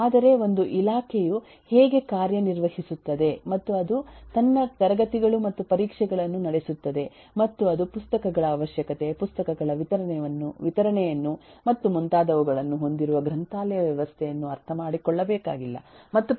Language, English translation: Kannada, but how a department functions and it conducts its classes and eh examinations and all that is eh not required to be understood by a library system which has requirement of books, issue of books and so on and vice versa